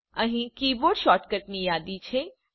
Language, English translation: Gujarati, Here is the list of keyboard shortcuts